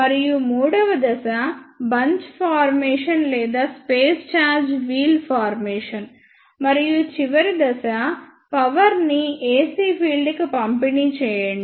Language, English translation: Telugu, And the third phase is bunch formation or space charge wheel formation; and the last phase is dispensing of energy to the ac field